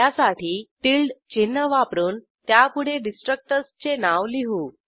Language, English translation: Marathi, For this we use a tilde sign followed by the destructors name